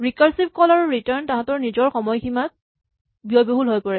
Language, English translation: Assamese, Recursive calls and returns turn out to be expensive on their own time limits